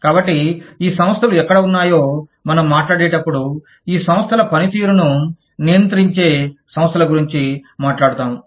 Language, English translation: Telugu, So, when we talk about, where these organizations are situated, we talk about organizations, that govern the workings of these organizations